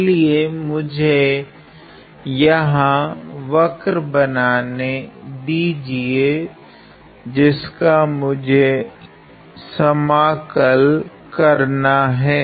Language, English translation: Hindi, Let me, draw the curve here, which on which I want to integrate